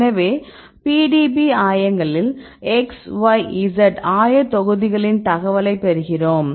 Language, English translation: Tamil, So, now you show the PDB coordinates right